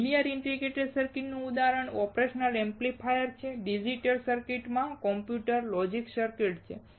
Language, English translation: Gujarati, Example for linear integrated circuits is operational amplifier and for digital integrated circuit is computers or logic circuits